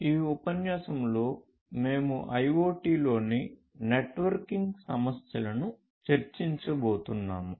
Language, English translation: Telugu, In this lecture, we are going to look at the networking issues in IoT